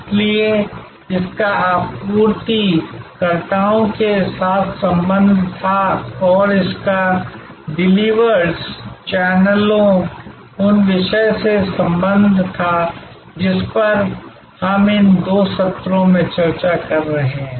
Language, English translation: Hindi, So, it had connection with suppliers and it had connection with the deliverers, the channels, the topic that we are discussing in these two sessions